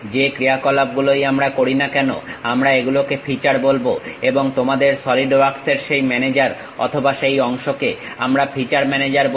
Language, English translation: Bengali, Whatever these operations we are doing features we call and that manager or that portion of your Solidworks we call feature manager